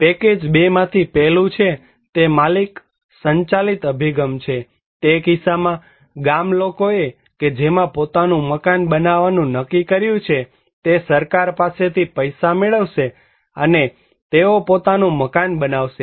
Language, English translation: Gujarati, One is from the package 2, there is owner driven approach; in that case, the villagers in which villagers decided to build their own house, they will get the money from the government and they will construct their own house